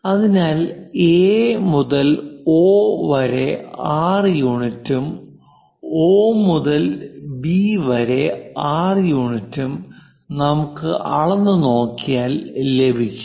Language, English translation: Malayalam, So, if we are going to measure the distance from A to O, 6 units and O to B, 6 units, we are going to get